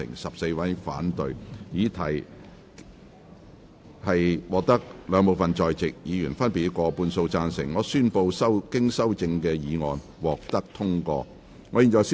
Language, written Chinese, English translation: Cantonese, 由於議題獲得兩部分在席議員分別以過半數贊成，他於是宣布修正案獲得通過。, Since the question was agreed by a majority of each of the two groups of Members present he therefore declared that the amendment was passed